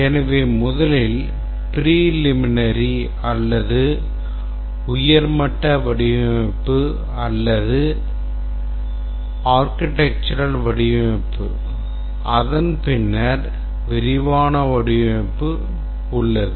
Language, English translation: Tamil, So, it's a preliminary or high level design or architectural design and then we have the detailed design